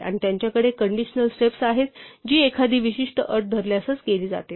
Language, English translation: Marathi, And they have conditionals steps something which is done only if a particular condition holds